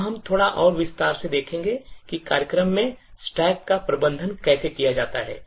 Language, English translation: Hindi, Now we will look a little more in detail about how the stack is managed in the program